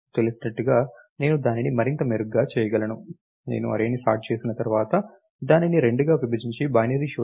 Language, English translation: Telugu, As a know I can even make it even better, I can divide the array into two once it is sorted and do binary search